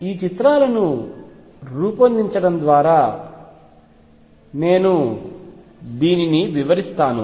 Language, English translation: Telugu, Let me explain this by making pictures